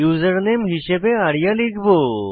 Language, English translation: Bengali, Type the username as arya